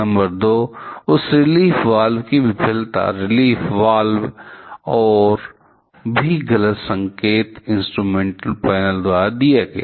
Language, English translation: Hindi, Number 2: The failure of that relief valve; the relief valve and also corresponding wrong signal given by the instrumentation panel